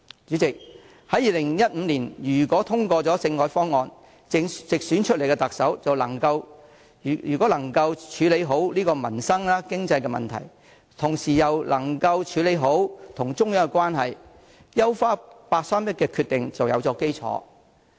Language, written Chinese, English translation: Cantonese, 主席，如果在2015年通過政改方案，直選出來的特首又能夠處理好民生、經濟的問題，同時也能處理好與中央的關係的話，優化八三一決定便有基礎。, President if the constitutional reform package was passed in 2015 and that the Chief Executive elected directly was able to properly deal with issues concerning the peoples livelihood and the economy as well as aptly handling the relationship with the Central Authorities then we would have had the basis for enhancing the 31 August Decision